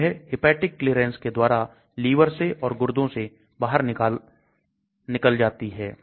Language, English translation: Hindi, So it gets cleared through the hepatitic clearance through the liver and this is through the renal clearance